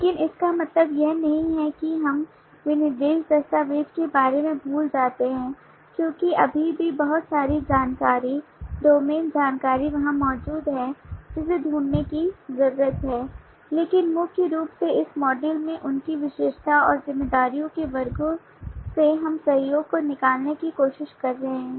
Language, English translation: Hindi, but that does not mean that we forget about the specification document because there is still a lot of information, the domain information there which need to be found out, but primarily from the classes their attribute and responsibilities in this module we are trying to extract the collaboration the modularization in the hierarchy